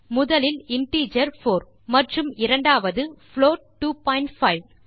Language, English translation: Tamil, The first being integer 4 and second is a float 2.5 2